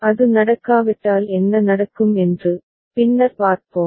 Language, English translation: Tamil, Later on we shall see if it is not the case then what will happen